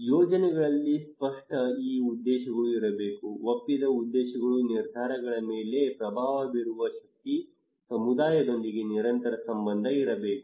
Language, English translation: Kannada, Clear and objectives should be there of the projects, agreed objectives power to influence the decisions, continued relationship with the community